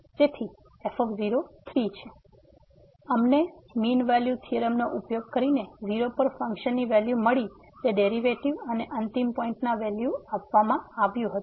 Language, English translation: Gujarati, So, we got the value using the mean value theorem of the function at given that those derivatives and the end points value was given